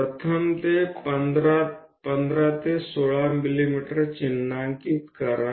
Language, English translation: Marathi, So, let us first of all mark 15 to 16 mm